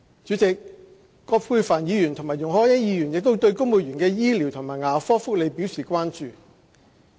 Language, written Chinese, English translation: Cantonese, 主席，葛珮帆議員和容海恩議員亦對公務員的醫療和牙科福利表示關注。, President Dr Elizabeth QUAT and Ms YUNG Hoi - yan are concerned about the medical and dental benefits for civil servants